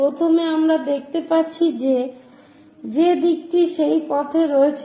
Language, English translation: Bengali, So, first we see that the direction is in that way